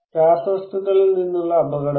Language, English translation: Malayalam, Dangers from chemical